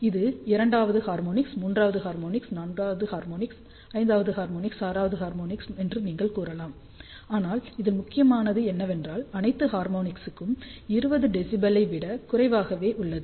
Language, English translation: Tamil, So, this you can say is second harmonic, third harmonic, fourth harmonic, fifth harmonic, sixth harmonic, but what is important is all the harmonics are less than 20 db